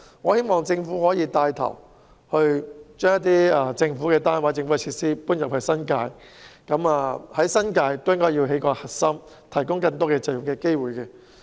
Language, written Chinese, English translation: Cantonese, 我希望政府可以帶頭把政府單位或設施遷到新界，在新界打造一個核心，以便提供更多就業機會。, I hope the Government can take the lead in moving government units or facilities to the New Territories and creating a Central Business District in the New Territories to provide more job opportunities